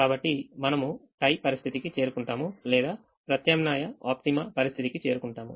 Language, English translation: Telugu, we reach the tie situation or we reach the alternate optima situation